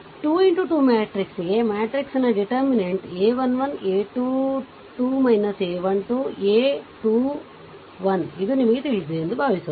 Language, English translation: Kannada, Suppose for a 2 into 2 matrix, right for a 2 into 2 matrix determinant is simple a 1 1, a 2 2 minus a 1 2, a 2 1 this you know